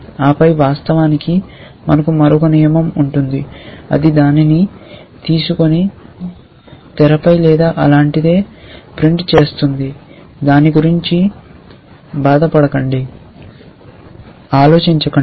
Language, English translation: Telugu, And then of course, maybe we will have another rule which will take it and print it onto the screen or something like that let us not bother about that